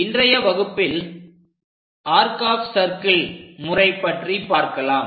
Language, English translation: Tamil, So, in today's lecture, we have covered this arc of circles method